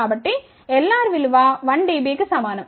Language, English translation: Telugu, So, L r is equal to 1 dB